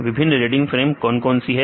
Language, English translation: Hindi, What are the different reading frames